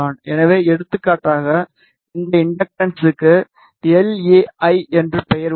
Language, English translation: Tamil, So, for example, this inductance has a name LAI